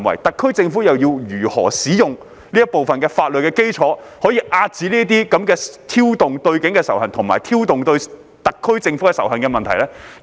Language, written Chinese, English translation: Cantonese, 特區政府應如何使用這一部分的法律基礎，遏止這種挑動對警方及特區政府仇恨的行為？, How should the SAR Government invoke law in this area to suppress acts of instigating hatred against the Police and the SAR Government?